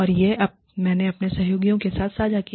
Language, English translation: Hindi, And, I shared that, with my colleagues